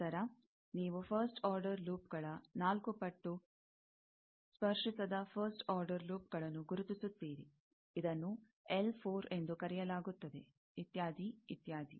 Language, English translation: Kannada, Then, you identify quadruple of first order loops, non touching first order loops, that is called L 4, etcetera, etcetera